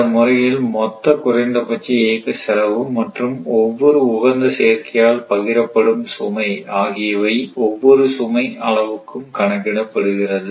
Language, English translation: Tamil, In this process, the total minimum operating cost and the load shared by each unit of the optimal combination are automatically determined for each load level